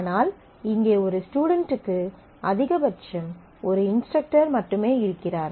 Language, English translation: Tamil, So, for an instructor here there are many students, but for a student here there are only at most one instructor